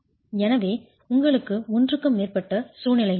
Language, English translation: Tamil, So you have greater than one situation as well